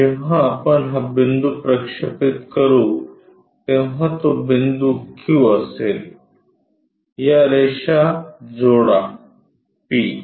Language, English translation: Marathi, So, transfer this length from here, when we are projecting that point will be q, join these lines p